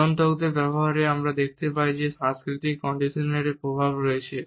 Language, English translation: Bengali, In the use of regulators also we find that the impact of cultural conditioning is there